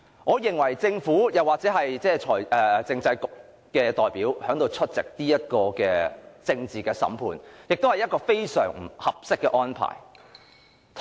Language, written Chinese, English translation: Cantonese, 我認為政府或政制及內地事務局的代表出席此項政治審判是非常不合適的安排。, I consider it grossly inappropriate that representatives of the Government or the Constitutional and Mainland Affairs Bureau attend such a political trial